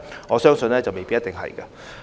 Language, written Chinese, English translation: Cantonese, 我相信答案未必是。, The answer may not be in the affirmative